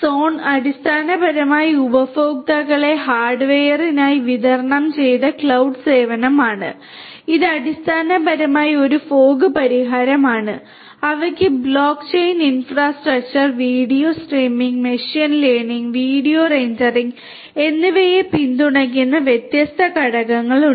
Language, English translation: Malayalam, Sonm, is basically a distributed cloud service for customer hardware, this is basically essentially it is a fog solution and they have different components supporting block chain infrastructure, video streaming, machine learning, video rendering